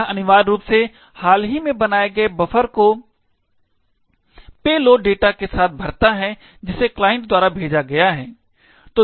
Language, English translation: Hindi, It essentially, fills the recently created buffer with the payload data that client has sent